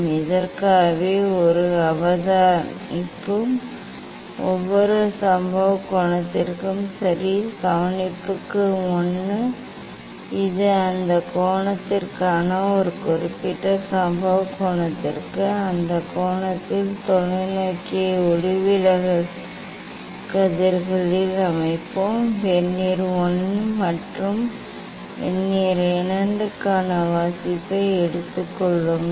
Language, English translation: Tamil, this is for this each observation is for each incident angle ok, for observation 1 this for a particular incident angle for that angle; for that angle we will set the telescope at the refracted rays, take the reading for Vernier I and Vernier II